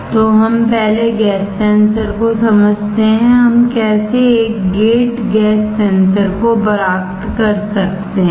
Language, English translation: Hindi, So, let us understand first gas sensor; how can we have a gate gas sensor